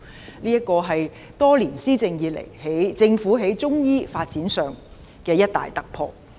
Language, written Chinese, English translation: Cantonese, 這是政府多年施政以來在中醫發展上的一大突破。, This is a major breakthrough in the development of Chinese medicine in the many years of administration by the Government